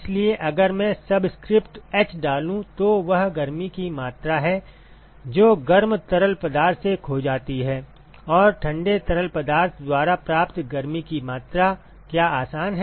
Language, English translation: Hindi, So, if I put subscript h that is the amount of heat that is lost by the hot fluid, and what is the amount of heat that is gained by the cold fluid easy right